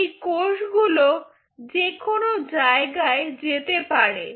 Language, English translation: Bengali, rogue cells, these cells absolutely can go anywhere